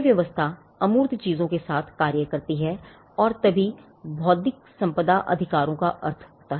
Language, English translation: Hindi, This regime acts this regime acts along with the intangible things and only then intellectual property rights make sense